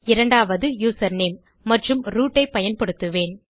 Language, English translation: Tamil, The second one will be username and Ill use root